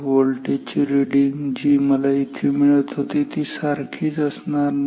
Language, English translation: Marathi, The voltage reading which I was getting here was not same it was coming say 1